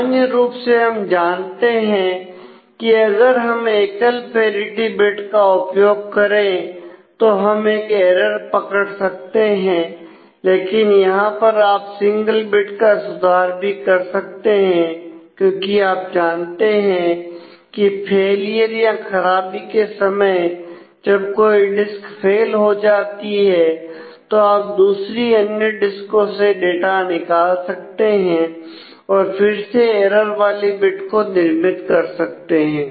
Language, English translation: Hindi, Usually, we know that if we use a single parity bit we can know a single error we can detect a single error, but here with a single bit you can correct the single error also because you know in case of a failure you know which particular disk has failed